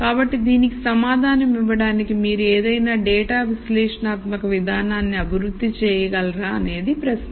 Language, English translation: Telugu, So, the question is can you develop a data analytic approach to answer this question